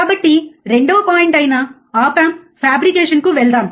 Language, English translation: Telugu, So, let us move to the second point which is the op amp fabrication